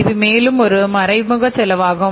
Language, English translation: Tamil, Here it is the indirect cost